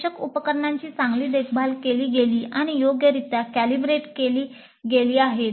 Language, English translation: Marathi, The required equipment was well maintained and calibrated properly